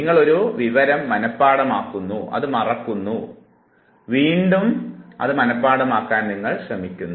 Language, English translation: Malayalam, You have learnt the information, memorized it, now it is lost you are again trying to memorize it